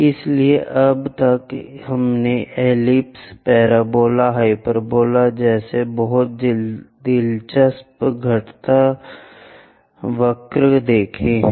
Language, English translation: Hindi, So, till now we have looked at very interesting curves like ellipse, parabola and hyperbola